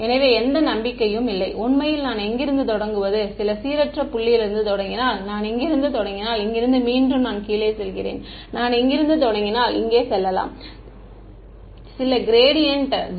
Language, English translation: Tamil, So, there is no hope actually I I just do not know where to start from if I start from some random point if I start from here again I go down I if I start from let us say here and I reach over here gradients are 0 right ok